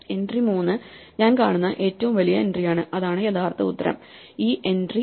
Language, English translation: Malayalam, So, the entry 3 is the largest entry that I see and that is actual answer this entry 3